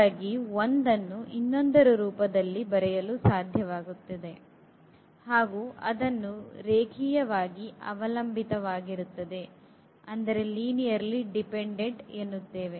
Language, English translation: Kannada, So, 1 can be written in terms of the others and that is the case where what we call a linear dependence